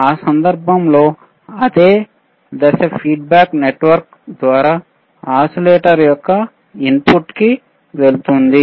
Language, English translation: Telugu, In that case the same phase will go to the input of the oscillator through feedback network